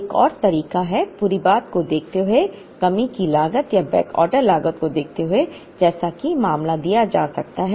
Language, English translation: Hindi, Another way, of looking at the whole thing is, given a shortage cost or backorder cost as the case may be given